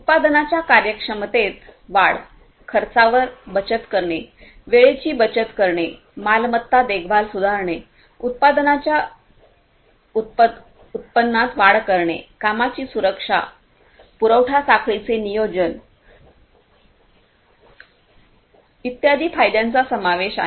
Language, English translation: Marathi, Benefits include increase in production efficiency, saving on costs, saving on the time, improving asset maintenance, enhancing product productivity, work safety, supply chain planning and so on